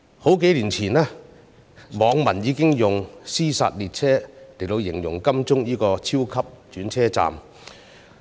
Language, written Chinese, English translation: Cantonese, 數年前，網民已經用"屍殺列車"來形容金鐘站這個超級轉車站。, A few years ago netizens started using the term a killing train station to describe Admiralty the super interchanging station